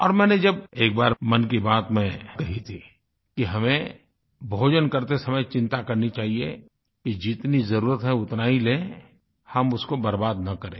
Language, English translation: Hindi, And, in one episode of Mann Ki Baat I had said that while having our food, we must also be conscious of consuming only as much as we need and see to it that there is no wastage